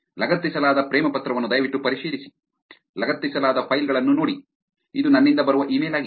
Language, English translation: Kannada, Kindly check the attached love letter, see attached files, this is an email that comes, coming from me right